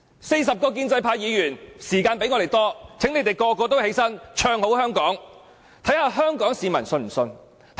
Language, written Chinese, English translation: Cantonese, 四十位建制派議員的發言時間比我們多，請他們全部站起來唱好香港，看看香港市民會否相信他們。, The speaking time of 40 pro - establishment Members is longer than ours I ask them all to speak and sing the praises of Hong Kong